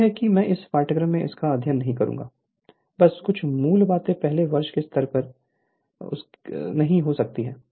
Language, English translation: Hindi, This is that will not study in this in the in this course just some basic right could not beyond that at first year level